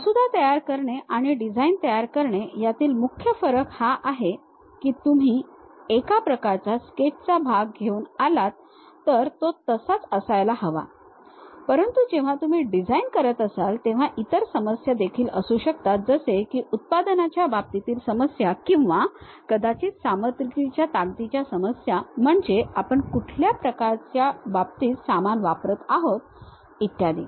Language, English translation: Marathi, The main difference between drafting and designing is, you come up with a one kind of sketch part it has to be in that way, but when you are designing there might be other issues like manufacturing issues or perhaps in terms of strength of materials what we are using and so on